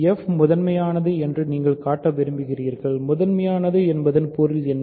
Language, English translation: Tamil, You want to show f is prime, what is the meaning of being prime